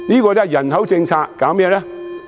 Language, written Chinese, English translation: Cantonese, 但是，人口政策搞甚麼呢？, But what are we doing with the population policy?